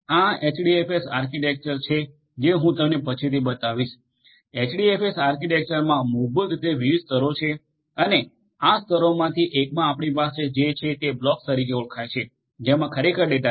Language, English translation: Gujarati, This HDFS architecture as I will show you later on, HDFS architecture basically has different layers and in one of these layers basically what you have are something known as the blocks which actually contains the data